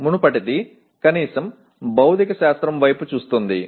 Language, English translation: Telugu, The earlier one was at least looking at material science